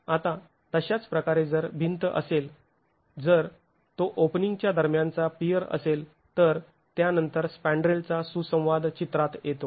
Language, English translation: Marathi, Now, in a similar manner, if it is a wall, if it is a peer between openings which then has the interaction of the spandrel coming into the picture